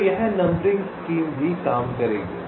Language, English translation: Hindi, so this numbering scheme will also work